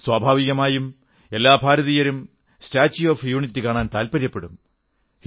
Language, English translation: Malayalam, Of course, the inner wish to visit the statue of unity will come naturally to every Indian